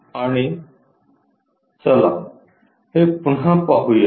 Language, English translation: Marathi, And, let us look at it again